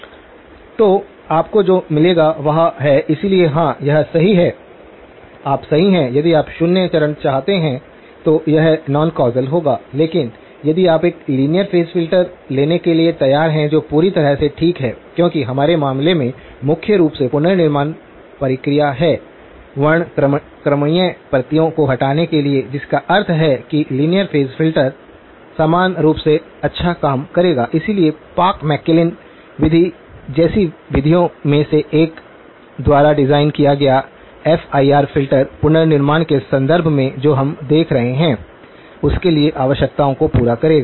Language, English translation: Hindi, So, what you will get is it, so yes you are right if you want zero phase, it will be non causal but if you are willing to take a linear phase filter which is perfectly okay because in our case the reconstruction process primarily has to remove the spectral copies, so which means that linear phase filter would do the job equally well so, FIR filter designed by one of the methods like the Parks McClellan method would satisfy the requirements for what we are looking at in terms of reconstruction